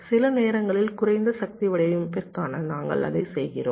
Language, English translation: Tamil, sometimes where low power design, we do that ok